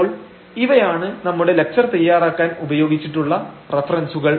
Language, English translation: Malayalam, So, these are the references we have used for preparing these lectures